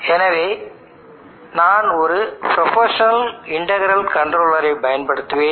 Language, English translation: Tamil, So I will use the proportional integral controller